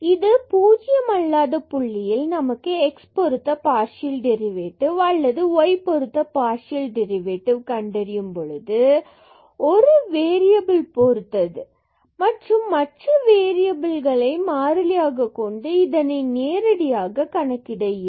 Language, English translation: Tamil, So, at this non zero point x y not equal to 0 0 we can get the derivative partial derivative with respect to x or partial derivatives with respect to y directly from directly taking derivative of this function with respect to that variable and keeping the other variable as constant